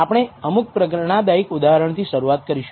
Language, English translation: Gujarati, We will start with some motivating examples